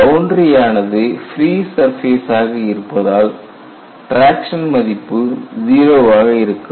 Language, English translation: Tamil, So, when into the free surface, you know traction is 0